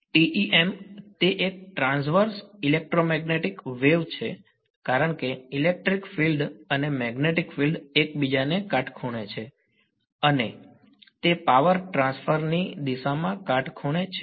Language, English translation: Gujarati, TEM its a Transverse Electromagnetic wave because the electric field and magnetic field are perpendicular to each other and they are perpendicular to the direction of power transfer